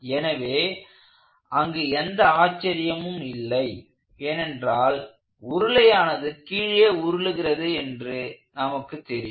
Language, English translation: Tamil, So, there is no surprise there, because intuitively you would find a cylinder such as this would roll down